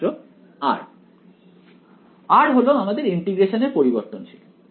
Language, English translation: Bengali, r is the variable of integration